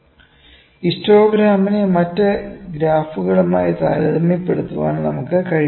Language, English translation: Malayalam, So, we should be able to at least compare the histogram with the other graphs